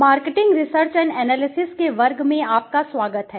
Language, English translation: Hindi, Welcome everyone to the class of marketing research and analysis